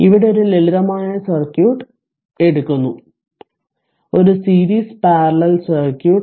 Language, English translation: Malayalam, So, here your a simple circuit of a this thing is taken, a series parallel your parallel circuit right